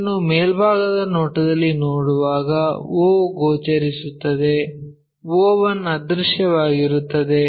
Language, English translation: Kannada, So, when we are looking at this in the top view, o will be visible o one will be invisible